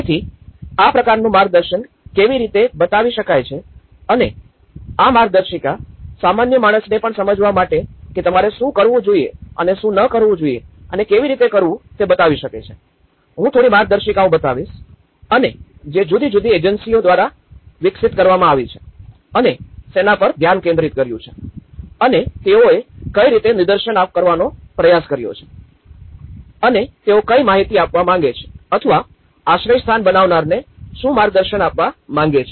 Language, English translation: Gujarati, So, how this kind of guidance can show and these manuals can show your direction for the layman even to understand that what to do and what not to do and how to do, I will be showing a few guidelines and which has been developed by different agencies and what are the focus lights on and how they have tried to demonstrate and what is that they are trying to give an information or to a guidance to the shelter makers